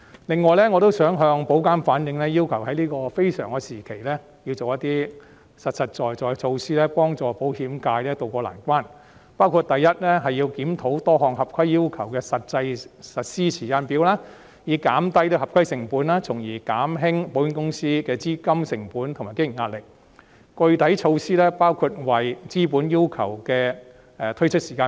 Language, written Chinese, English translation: Cantonese, 另外，我也想要求保監局在這非常時期採取一些實在的措施，協助保險界渡過難關，包括：第一，檢討多項合規要求的實施時間表，以減低合規成本，從而減輕保險公司的資金成本和經營壓力，具體措施包括重新檢討落實資本要求的時間表。, In addition I would also like to request IA to adopt certain concrete measures to tide the insurance sector over this extraordinarily difficult period . Such measures include first to review the implementation timetables for various compliance requirements to reduce compliance costs and thus alleviate the pressure of insurance companies in terms of capital costs and operation including specifically conducting a review afresh on the timetable for implementing capital requirements